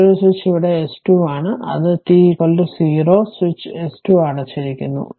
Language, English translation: Malayalam, The another switch is here S 2 that at t is equal to 0 switch S 2 is closed